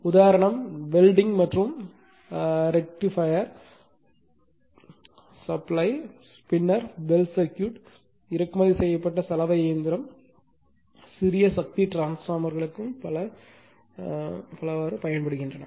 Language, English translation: Tamil, Example, including welding and rectifier supply rectifiersupplies then domestic bell circuit imported washing machine it is I mean so many many things are there for small power transformer